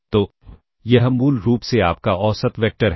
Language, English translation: Hindi, So, this is basically your mean vector